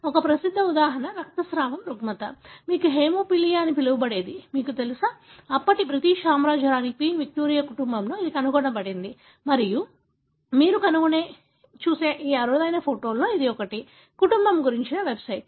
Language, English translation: Telugu, One of the famous example is the bleeding disorder, what you call as a haemophilia that was, you know, discovered in the family of Queen Victoria, the then Queen of the British kingdom and this is one of those rare photographs that you can find in the website about the family